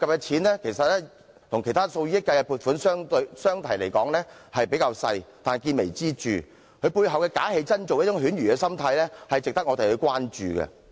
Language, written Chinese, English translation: Cantonese, 雖然相對其他以億元計的撥款而言，這項計劃涉及的款額較小，但見微知著，其背後"假戲真做"的犬儒心態值得關注。, Compared to other funding items to the tune of tens of million dollars this scheme involves a smaller sum . However a minute clue reveals the big picture . It is the underlying cynical mentality of taking the roles in a show too seriously that calls for our attention